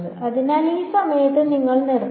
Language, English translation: Malayalam, So, at that point you should stop